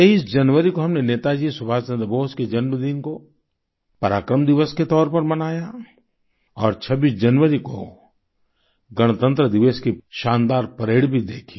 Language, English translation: Hindi, We celebrated the 23rd of January, the birth anniversary of Netaji Subhash Chandra Bose as PARAKRAM DIWAS and also watched the grand Republic Day Parade on the 26th of January